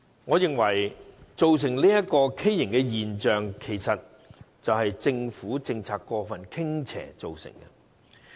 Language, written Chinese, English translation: Cantonese, 我認為這畸形現象，是政府政策過分傾斜所造成的。, I think this abnormal phenomenon should be attributed to the excessively tilted policy adopted by the Government